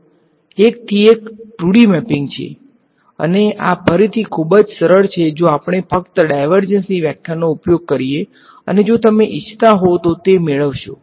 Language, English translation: Gujarati, So, it is a one to one mapping of this divergence theorem to 2D ok, and this is again very simple if we just use the definition of divergence and all you will get this, if you wanted derive it ok